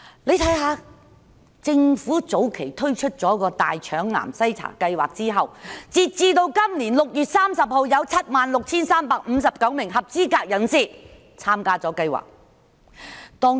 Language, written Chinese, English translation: Cantonese, 你看看政府早前推出的大腸癌計劃，截至今年6月30日，有 76,359 名合資格人士參加計劃。, Lets look at the Governments colorectal cancer program launched earlier . As at 30 June this year 76 359 eligible people participated in it